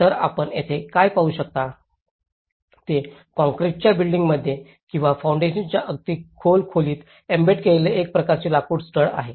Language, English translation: Marathi, So, what you can see here is it is a kind of timber studs embedded in the either in the concrete bedding or little deeper into the foundation